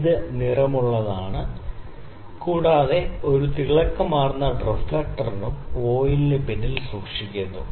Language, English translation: Malayalam, So, it is coloured and also a luminescent reflector is kept behind the voile